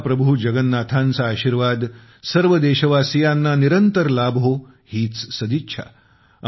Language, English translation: Marathi, It’s my solemn wish that the blessings of Mahaprabhu Jagannath always remain on all the countrymen